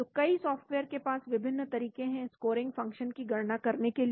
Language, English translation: Hindi, So many softwares have different ways of calculating the scoring function